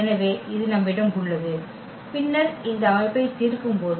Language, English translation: Tamil, So, we have this and then when we solve this system